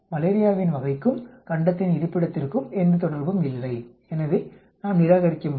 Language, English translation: Tamil, There is no relationship between the type of malaria and the continent location, so we can reject